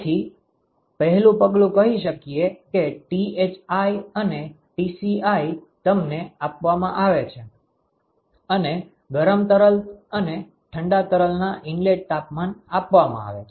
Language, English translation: Gujarati, So, the first step would be let us say that the Thi, and Tci are given the inlet temperatures of the hot and the cold fluid are given to you, ok